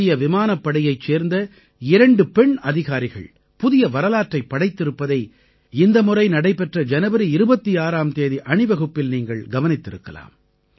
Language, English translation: Tamil, You must have also observed this time in the 26th January parade, where two women officers of the Indian Air Force created new history